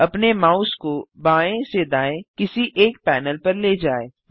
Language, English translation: Hindi, Move your mouse over any one panel left or right